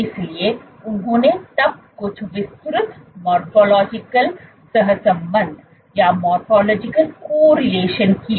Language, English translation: Hindi, So, they then did some detailed morphological correlation